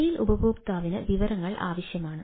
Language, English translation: Malayalam, mobile user requires the information